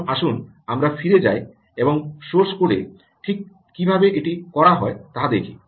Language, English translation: Bengali, ok, now let us go back and see what exactly how exactly this is done in source code